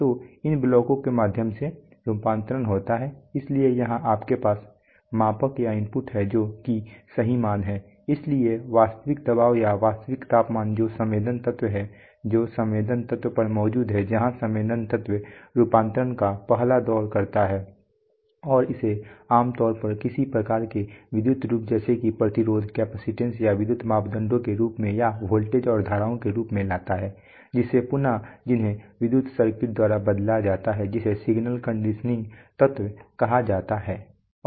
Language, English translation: Hindi, So through these blocks that conversion takes place, so here you have the measurand or the input which is the true value, so the real pressure or the real temperature which is the sensing element, which exists at the sensing element then the sensing element does the first round of conversion and brings it generally to some sort of an electrical form, either in the form of electrical parameters like resistance, capacitance changes or in the form of voltages and currents which have to be further manipulated by electrical circuits called signal conditioning elements